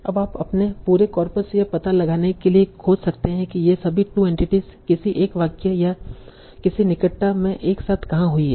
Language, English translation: Hindi, Now you can search your whole coppers to find out where all these two entities occur together in a single sentence or in some proximity